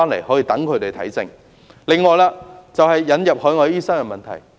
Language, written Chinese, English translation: Cantonese, 此外，我想談談引入海外醫生的問題。, In addition I would like to talk about the recruitment of overseas doctors